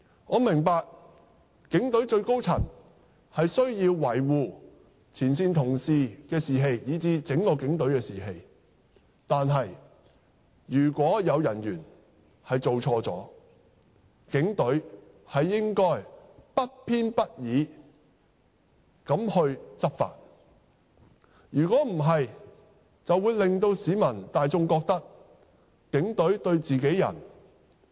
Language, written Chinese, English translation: Cantonese, 我明白警隊最高層需要維護前線同事的士氣，以至警隊整體的士氣；但是，如果有人員犯錯，警隊應該不偏不倚地執法，否則便會令市民大眾覺得警隊偏袒自己人。, I understand the need for the senior management of the Police to uphold the morale of frontline colleagues and even that of the entire Police Force . But if their colleagues have made mistakes the Police should enforce the law impartially or else members of the public will think that the Police are biased in favour of their own people . Let me cite an example